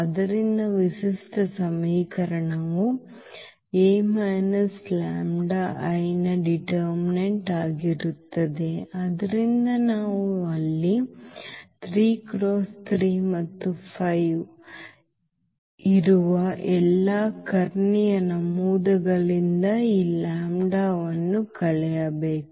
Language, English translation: Kannada, So, the characteristic equation will be determinant of this a minus lambda I, so we have to subtract this lambda from all the diagonal entries which is 3 3 and 5 there